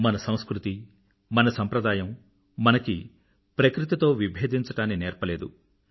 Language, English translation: Telugu, Our culture, our traditions have never taught us to be at loggerheads with nature